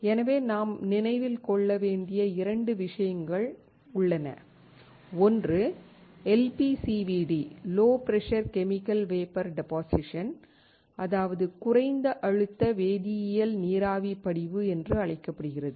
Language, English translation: Tamil, So, there are 2 things that we had to remember: one is called LPCVD Low Pressure Chemical Vapor Deposition